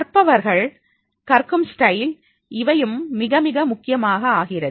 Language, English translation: Tamil, The learners, this learning style that is also becoming very, very important